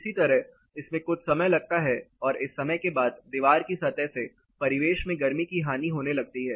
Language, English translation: Hindi, Similarly, this takes a while and after this particular time the wall also losses heat to the ambient